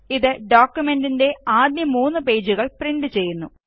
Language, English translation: Malayalam, This will print the first three pages of the document